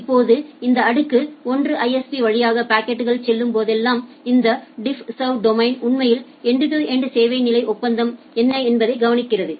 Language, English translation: Tamil, Now, whenever the packet is going through this tier 1 ISP, that this DiffServ domain actually looks into that what is my end to end service level agreement